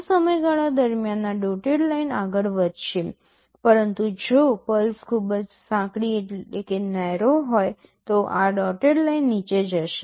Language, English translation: Gujarati, More the on period this dotted line will be moving up, but if the pulses are very narrow then this dotted line will move down